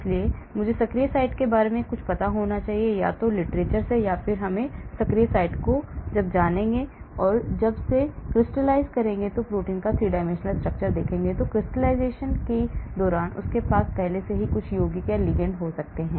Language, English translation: Hindi, so I should know something about the active site, , either from literature, I will know the active site or when they crystalize and put the 3 dimensional structure of the protein they may have already some compound or ligand inside during the crystallization